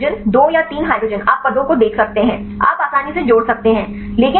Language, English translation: Hindi, So, three hydrogen 2 or 3 hydrogens you can see the positions, you can add easily